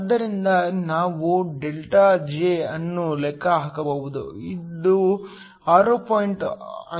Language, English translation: Kannada, So, we can calculate ΔJ, this works out to be 6